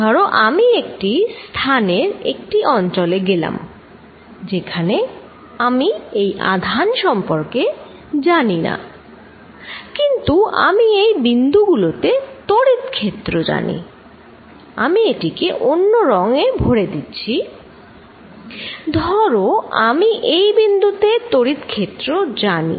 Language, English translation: Bengali, Suppose, I go to a region of space here, where I do not know about this charge, but I know field at these points, let me make it fill different color, suppose I know field at this point